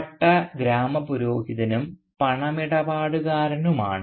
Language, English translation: Malayalam, So Bhatta is the Village Priest and the Moneylender